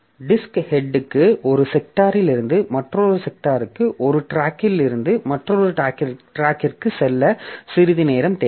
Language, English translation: Tamil, So, the disk head it needs some time to go from one sector to another sector, from one track to another track